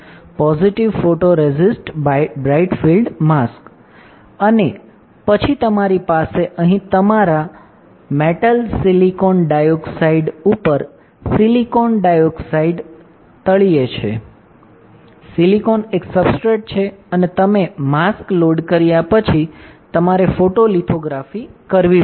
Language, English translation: Gujarati, Positive photoresist bright field mask and then you have here your metal silicon dioxide on top, silicon dioxide on bottom, silicon is a substrate, after you load the mask you have to do lithography